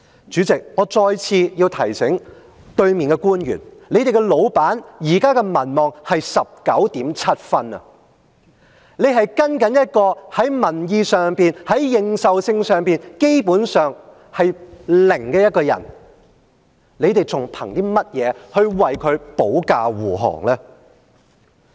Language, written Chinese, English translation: Cantonese, 主席，我再次提在席的官員，你們的老闆現在的民望是 19.7 分，你是跟隨一個在民意上、認受性上，基本上，是零的一個人，你們憑甚麼為她保駕護航呢？, President I have to remind officials who are present in this Chamber that the approval rating of your boss is only 19.7 . You are under a person whose popular approval rating and legitimacy is basically zero so on what basis would you defend her?